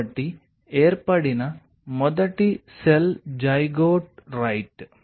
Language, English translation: Telugu, so the first cell which was formed was a zygote, right